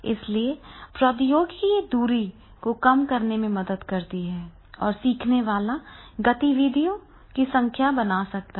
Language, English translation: Hindi, So technology can be used to minimize the distance and learner then he can create the number of activities